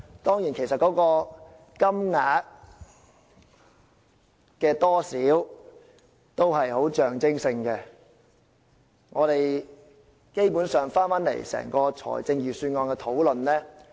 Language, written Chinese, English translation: Cantonese, 當然，金額其實只是象徵性質，基本上，我們要回到整個財政預算案的討論。, Of course the amounts are actually just nominal and basically we have to come back to the discussion on the Budget as a whole